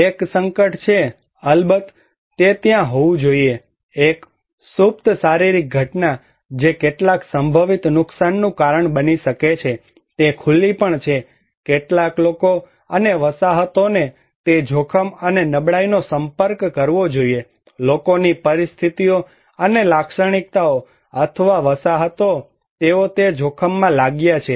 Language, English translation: Gujarati, One is the hazard; of course, that should be there, a latent physical event that may cause some potential damage, also the exposure; some people and settlements should be exposed to that hazard, and the vulnerability; the conditions and the characteristics of the people or the settlements they are exposed to that hazard